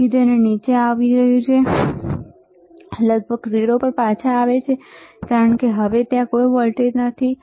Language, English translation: Gujarati, So, it is coming down, right; comes back to almost 0, because now there is no voltage